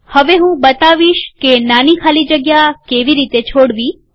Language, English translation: Gujarati, Now I want to show how to create a smaller space